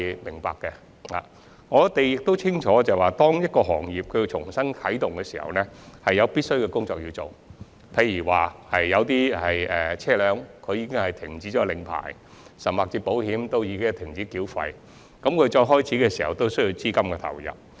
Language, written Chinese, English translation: Cantonese, 其實，大家都清楚明白，當一個行業要重新啟動時，必須做很多工作，例如有車輛的牌照已過期，甚至已停交保險費用，當重新開業時便需投入資金。, In fact as we clearly understand it a lot of work has to be done for an industry to resume . For instance capital investment is needed to renew expired vehicle licences and pay back outstanding insurance premiums upon resumption of business